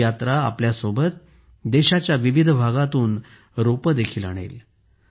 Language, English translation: Marathi, This journey will also carry with it saplings from different parts of the country